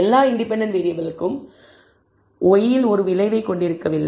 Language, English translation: Tamil, Maybe not all independent variables have an effect on y